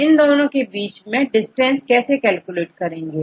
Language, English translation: Hindi, So, how to calculate the distance between these two